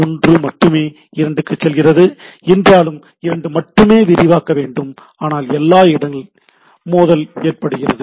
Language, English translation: Tamil, Though only 1 is sending to 2 only 2 should expand, but all will getting the collision things